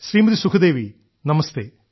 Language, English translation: Malayalam, Sukhdevi ji Namaste